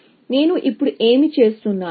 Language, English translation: Telugu, So, what am I doing now